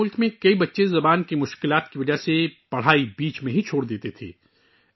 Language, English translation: Urdu, In our country, many children used to leave studies midway due to language difficulties